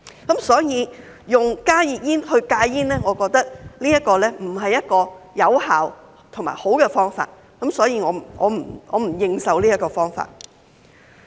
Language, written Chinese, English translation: Cantonese, 因此，我認為以加熱煙來戒煙並不是一個有效和良好的方法，所以我不認受這個方法。, Therefore I find it neither effective nor desirable to quit smoking with the use of HTPs and I disagree with this approach